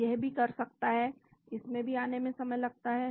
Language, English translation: Hindi, so it can do also, this also take time to come